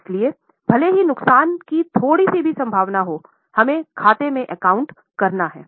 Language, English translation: Hindi, So, even if there is a slight possibility of a loss, we account for it